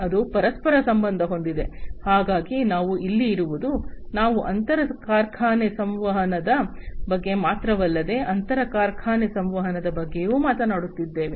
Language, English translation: Kannada, And so we here because it is interconnected, if you know we are talking about not only intra factory communication, but also inter factory communication